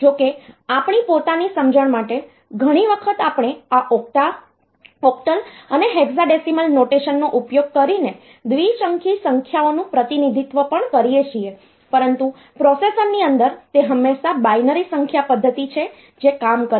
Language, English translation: Gujarati, Though for our own understanding many a times we even represent binary numbers using this octal and hexadecimal notations, but inside the processor it is always the binary number system that works